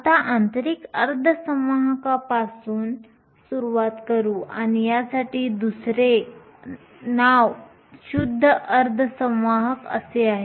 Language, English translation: Marathi, We will start with intrinsic semiconductors and other name for this is a pure semiconductor